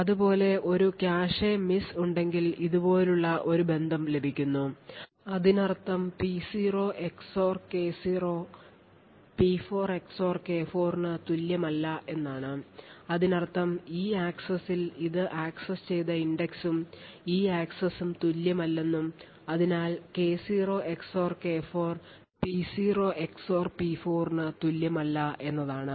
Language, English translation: Malayalam, Similarly if there is a cache miss then a relation such as this is obtained and it would mean that P0 XOR K0 is not equal to P4 XOR K4 which means that the index accessed by this in this access and this access are not the same and therefore K0 XOR K4 is not equal to P0 XOR P4